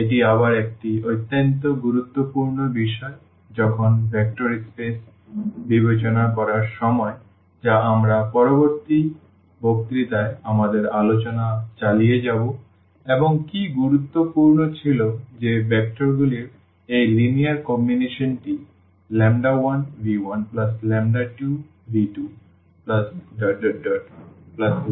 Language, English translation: Bengali, This is again a very important topic when while considering the vector spaces which we will continue our discussion in the next lecture and what was important that this linear combination of the vectors lambda 1 v 1 plus lambda 2 v 2 plus lambda n v n is equal to 0